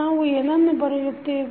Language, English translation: Kannada, What we can write